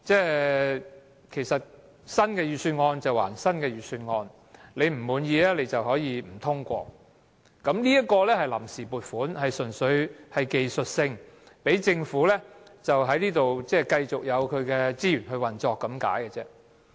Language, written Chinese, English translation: Cantonese, 有人會說新的預算案歸新的預算案，議員不滿意可以不通過，但這是臨時撥款，純粹是技術性安排，讓政府繼續有資源運作而已。, Some may say that Members can refuse to pass the new Budget if they are dissatisfied but the arrangement of seeking funds on account is purely a technical arrangement to provide the Government with resources for continuous operation